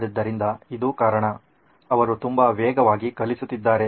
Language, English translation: Kannada, So this is the reason is, she is teaching very fast